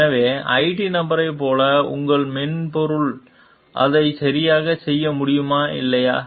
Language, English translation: Tamil, So, can the software in, like the IT person do it exactly or not